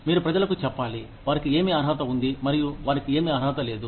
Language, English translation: Telugu, You need to tell people, what they are entitled to, and what they are not entitled to